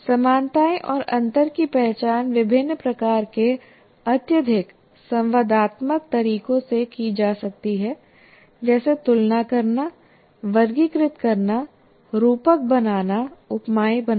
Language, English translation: Hindi, So identification of similarities and references can be accomplished in a variety of highly interactive ways like comparing, classifying, creating metaphors, creating analogies